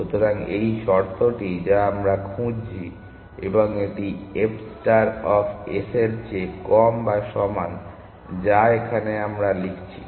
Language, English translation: Bengali, So, this is the condition that we are looking for; and this is less than or equal to this f star of s that is what we have written